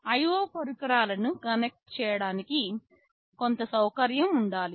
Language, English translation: Telugu, There can be some facility for connecting IO devices